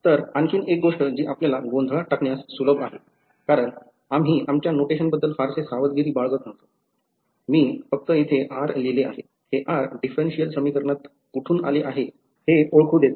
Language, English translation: Marathi, So, another thing that is easy to get confused by because we were being a little not very careful with our notation, I have simply written r over here right, this r lets identify where it came from in the differential equation ok